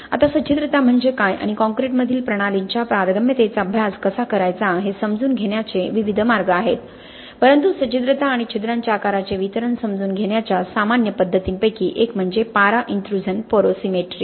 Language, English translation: Marathi, Now there are various ways of understanding of what porosity is and how to actually study the permeability of the systems in concrete, but one of the common methods of understanding porosity and the distribution of the pores size is mercury intrusion porosimetry